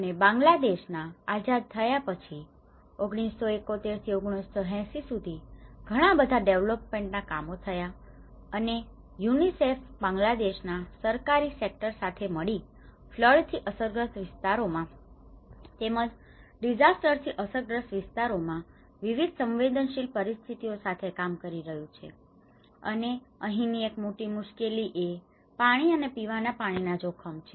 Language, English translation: Gujarati, And this Bangladesh after becoming independent from 1971 and till 1980’s, a lot of development programs has been worked, and UNICEF has been working with the Bangladesh government sector in order to promote various vulnerable situations in the flood prone areas and as well as the disaster affected areas, and one of the major concern here is the water and the drinking water risks